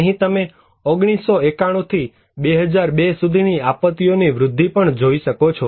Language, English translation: Gujarati, Here is also you can see from 1991 to 2002, the growth of disasters